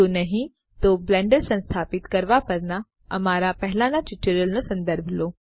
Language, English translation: Gujarati, If not please refer to our earlier tutorials on Installing Blender